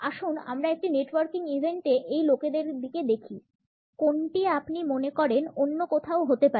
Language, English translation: Bengali, Let us take a look at these folks at a networking event which one do you think would rather be someplace else